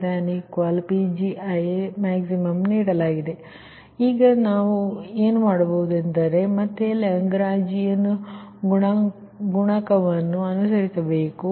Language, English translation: Kannada, then again you will follow the same thing, that lagrangian multiplier